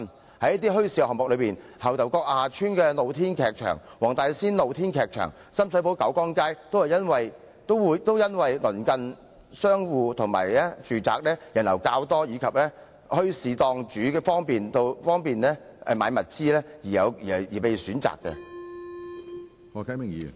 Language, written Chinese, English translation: Cantonese, 過往的一些墟市項目，例如牛頭角下邨的露天劇場、黃大仙的露天劇場、深水埗九江街等，也因為鄰近商戶及住宅，人流較多，而墟市檔主亦方便購買物資而被選擇。, The sites of bazaars held in the past such as the open - air theatre in Lower Ngau Tau Kok Estate the open - air theatre in Wong Tai Sin and Kiu Kiang Street in Sham Shui Po were chosen on account of their proximity to shops and residential buildings the high passenger volumes and also the easiness of bringing in goods and other materials by stall owners